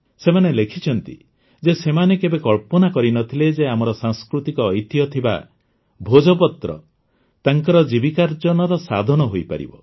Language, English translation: Odia, They have written that 'They had never imagined that our erstwhile cultural heritage 'Bhojpatra' could become a means of their livelihood